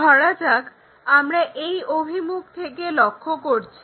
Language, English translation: Bengali, For example, we are looking from this direction